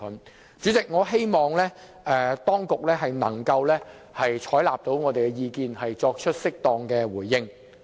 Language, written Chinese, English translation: Cantonese, 代理主席，我希望當局能夠採納我們的意見，作出適當的回應。, Deputy President I hope that the authorities can take our view on board and respond accordingly